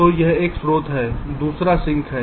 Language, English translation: Hindi, so one is this source and other is the sink